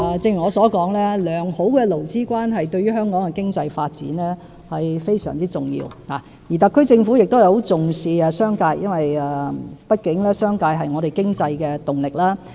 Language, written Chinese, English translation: Cantonese, 正如我所說，良好的勞資關係對香港的經濟發展是非常重要的，而特區政府亦很重視商界，畢竟商界是本港經濟的動力。, As I have said good labour relations are very important to Hong Kongs economic development and the Special Administrative Region Government sets great store by the business sector . After all the business sector is a driving force for Hong Kong economy